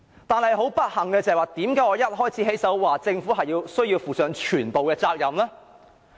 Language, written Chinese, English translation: Cantonese, 不幸的是，為何我要在發言的開首部分指出政府需要負上全部責任呢？, Why should I unfortunately point out at the beginning of my speech that the Government has to assume full responsibility for such a problem?